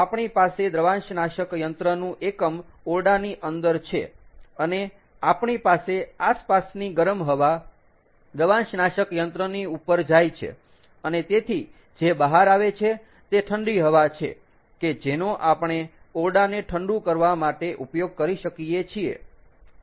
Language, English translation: Gujarati, ok, so therefore, what we do is we have the evaporator unit inside the room and we have the warm ambient air go over the evaporator and therefore what comes out is cool air which we can use to cool down the room